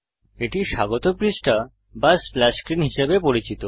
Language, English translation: Bengali, This is known as the welcome page or splash screen